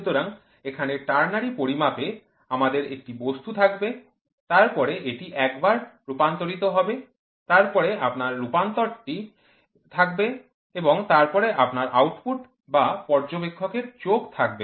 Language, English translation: Bengali, So, here in ternary measurement, we will have an object, then this will be a translation, then you will have translation and then you will have output or observers eye